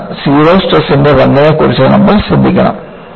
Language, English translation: Malayalam, So, you have to be careful about the role of the zero stress